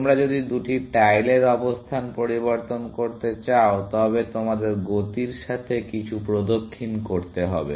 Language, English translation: Bengali, If you want to interchange the position of two tiles, you have to do some round about movement